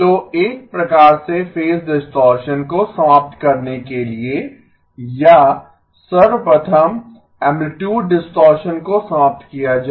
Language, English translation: Hindi, So in order for the phase distortion to be eliminated or first of all amplitude distortion to be eliminated